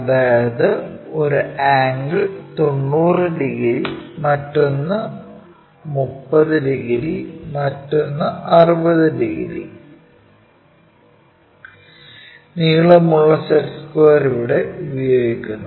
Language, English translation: Malayalam, So, one of the angle is 90 degrees, other one is 30 degrees, other one is 60 degrees, the long set square what usually we go with